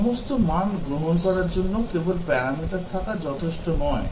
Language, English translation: Bengali, Just having a parameter taking all values is not enough